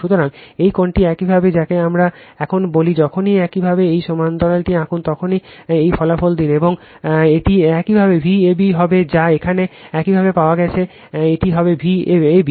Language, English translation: Bengali, So, this angle is your what we call now whenever you draw this parallel let this results and into one this will be your V a b whatever you have got it here this will be V ab